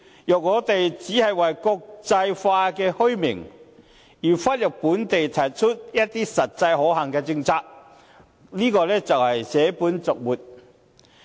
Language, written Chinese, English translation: Cantonese, 若我們只為了國際化的虛名，而忽略本地提出的一些實際可行的政策，這就是捨本逐末。, If we only chase after the bubble reputation internationally but fail to recommend locally some practicable strategies we are merely attending to the superficials but neglecting the essentials